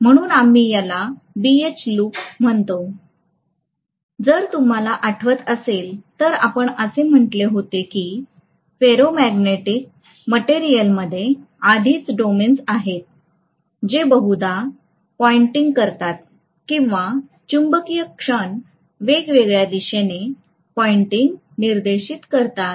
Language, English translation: Marathi, So we call this as the BH loop, if you may recall we actually said that the ferromagnetic material has domains already which are probably pointing or the magnetic moments are pointing in different directions